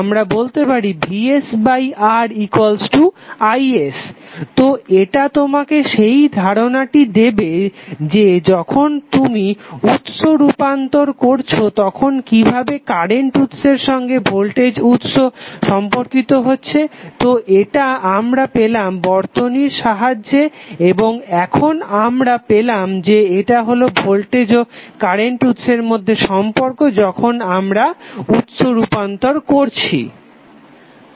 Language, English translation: Bengali, So what we get from here we get from here is nothing but Vs by R equal to is so, this will give you the idea that when you want to do the source transformation how the current source would be related to voltage source, so this we got with the help of circuit and now we found that this is the relationship between voltage and current sources when we are doing the source transformation